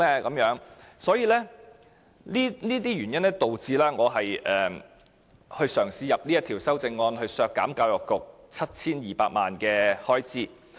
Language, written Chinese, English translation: Cantonese, 基於這些原因，我嘗試提出這項修正案，旨在削減教育局 7,200 萬元預算開支。, Due to these reasons I tried to propose this amendment to deduct the estimated expenditures of the Education Bureau by 72 million